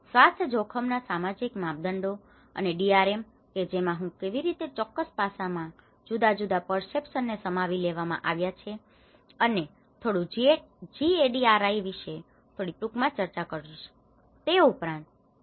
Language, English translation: Gujarati, Social dimension of risk health and DRM which I will just briefly discuss about how different perceptions have summarized this particular aspect and also little bit about GADRI and in fact Dr